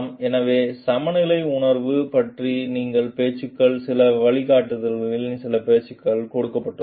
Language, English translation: Tamil, So, these talks of a sense of balance these talks of some guidelines given also